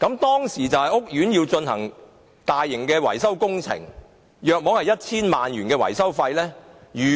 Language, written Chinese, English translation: Cantonese, 當時，屋苑要進行大型維修工程，約需 1,000 萬元的維修費用。, At that time a large - scale maintenance project to be undertaken by the court entailed a maintenance cost of about 10 million